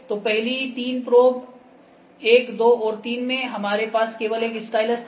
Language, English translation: Hindi, So, in the first three probes 1, 2 and 3, we had only one stylus